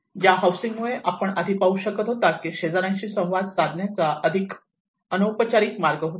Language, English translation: Marathi, The housing where you can see earlier it was more of an informal way of interactions with the neighbours